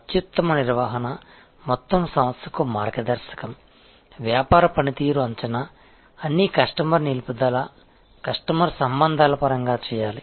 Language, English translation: Telugu, The top management, the guideline to the entire organization, assessment of business performance, all must be made in terms of customer retention, customer relation